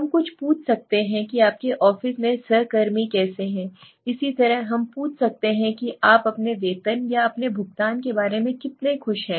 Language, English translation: Hindi, Let s say what is, how are the people, how are the colleagues in your office okay, similarly we can ask how are how happy are you right regarding your pay or your payment